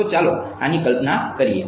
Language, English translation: Gujarati, So, let us visualize this right